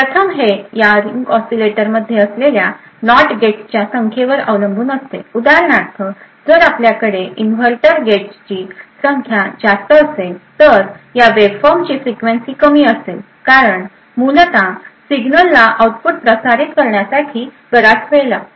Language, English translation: Marathi, First it depends on the number of NOT gates that are present in this ring oscillator for example, if you have more number of inverters gates then the frequency would be of this waveform would be lower because essentially the signal takes a longer time to propagate to the output